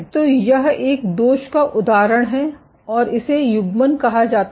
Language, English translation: Hindi, So, this is an example of a defect and this is called as pairing